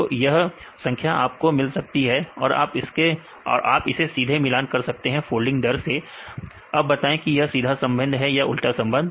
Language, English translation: Hindi, So, you can get this numbers and directly relate with the folding rates right say direct relationship or inverse relationship